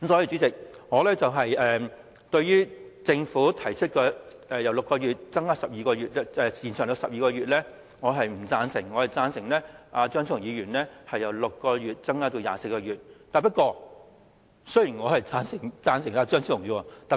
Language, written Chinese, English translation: Cantonese, 主席，對於政府提出把檢控時效由6個月延長至12個月，我是不贊成的，我支持張超雄議員提出的修正案，把時效由6個月延長至24個月。, Chairman I do not approve of the Governments proposal of extending the time limit for prosecution from 6 months to 12 months . I support the amendment proposed by Dr Fernando CHEUNG for extending the time limit from 6 months to 24 months